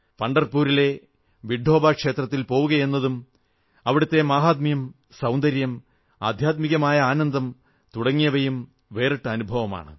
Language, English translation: Malayalam, Visiting Vithoba temple in Pandharpur and its grandeur, beauty and spiritual bliss is a unique experience in itself